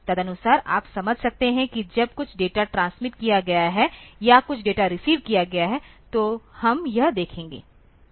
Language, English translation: Hindi, Accordingly you can understand whether when some data has been transmitted or some data has been received; so, we will see that